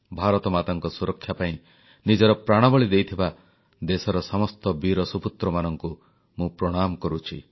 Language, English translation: Odia, I respectfully bow to all the brave sons of the country, who laid down their lives, protecting the honour of their motherland, India